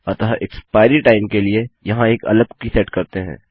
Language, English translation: Hindi, So for our expiry time Ill set another cookie in here